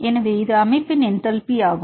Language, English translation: Tamil, So, this is the enthalpy of the system